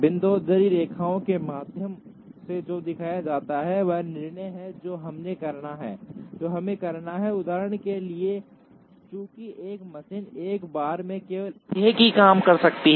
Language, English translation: Hindi, What are shown through dotted lines is the decision that we have to make, for example since a machine can process only one job at a time